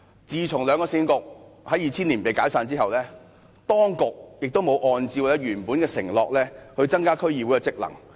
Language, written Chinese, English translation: Cantonese, 自從兩個市政局在2000年被解散後，當局也沒有按照原本的承諾，增加區議會的職能。, Since the dissolution of the two Municipal Councils in 2000 the Administration has not strengthened the functions of DCs as per its undertaking